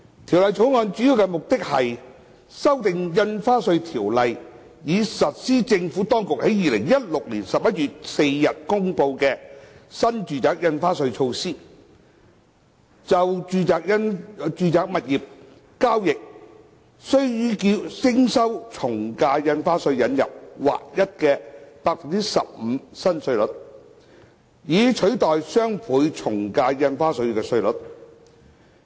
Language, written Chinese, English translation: Cantonese, 《條例草案》的主要目的是修訂《印花稅條例》，以實施政府當局在2016年11月4日公布的新住宅印花稅措施，就住宅物業交易須予徵收的從價印花稅引入劃一為 15% 的新稅率，以取代雙倍從價印花稅稅率。, The major objective of the Bill is to amend the Stamp Duty Ordinance to implement the New Residential Stamp Duty NRSD measure that the Administration announced on 4 November 2016 by introducing a new flat rate of 15 % for the ad valorem stamp duty AVD chargeable on residential property transactions in lieu of the Doubled Ad Valorem Stamp Duty DSD rates